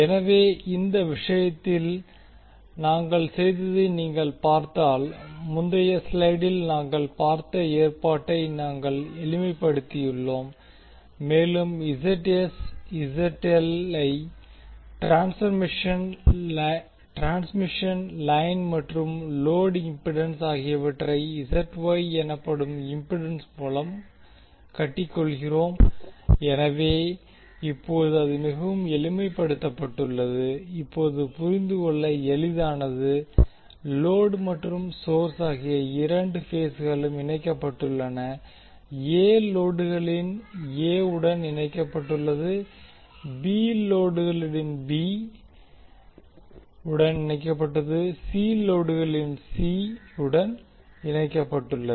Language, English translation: Tamil, So if you see in this case what we have done, we have simplified the arrangement which we saw in the previous slide and we lump the ZS, Z small l for transmission line and the load impedance through a impedance called ZY, so now it is much simplified and easy to understand now you say that both phases of source and load are connected, A is connected A, B is connected to B of the load, C is connected to C of the load